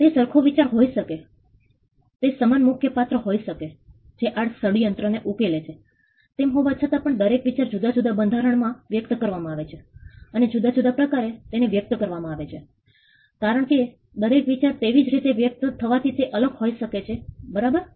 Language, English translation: Gujarati, It could be the same idea it could be the same main character who solves these plots, nevertheless each idea is expressed in a different format and because it is expressed in a different form each idea as it is expressed in a different form can have a separate right